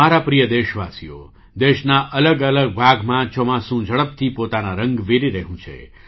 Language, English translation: Gujarati, My dear countrymen, monsoon is spreading its hues rapidly in different parts of the country